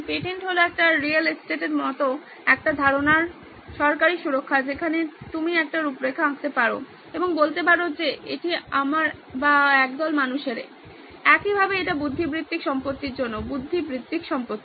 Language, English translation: Bengali, Patent is a government protection of an idea similar to a real estate where you can draw an outline and say this belongs to me or a group of people, same way this is for the intellectual property, intellectual estate